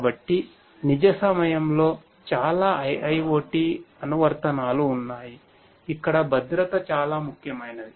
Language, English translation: Telugu, So, there are many IIoT applications that are real time where safety is very important